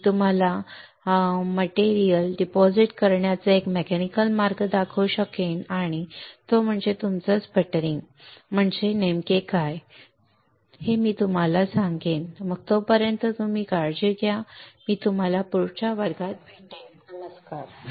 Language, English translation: Marathi, I will start showing you a mechanical way of depositing of material and that is your sputtering right what exactly a sputtering means alright is then you take care I will see you next class, bye